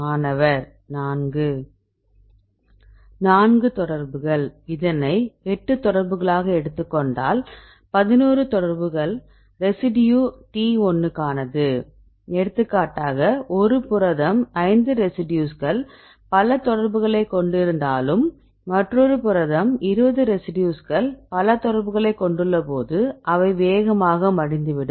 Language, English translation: Tamil, So, if you take this one 8 contacts with this one; 11 contacts this is for the residue T1; for example, a protein one case only 5 residues have this multiple contacts one protein they have 20 residues which have multiple contacts which will fast fold fast which will fold slow, right